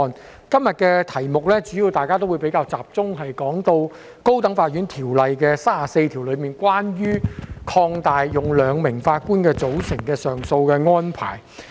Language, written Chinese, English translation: Cantonese, 就今天的題目，大家主要比較集中討論《高等法院條例》第34條，關於擴大使用兩名法官組成的上訴安排。, In regard to the subject today Members have focused their discussion mostly on section 34 of the High Court Ordinance which is about extending the use of a 2 - Judge bench in dealing with appeal cases